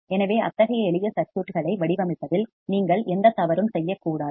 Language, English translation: Tamil, So, you should not commit any mistake in designing such a simple circuits